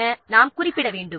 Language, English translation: Tamil, So that also have to be listed